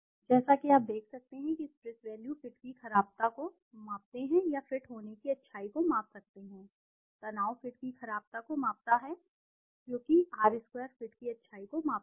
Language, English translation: Hindi, As you can see stress values measures badness of fit or rather goodness of fit you can, stress measures the badness of the fit, because R square measures the goodness of fit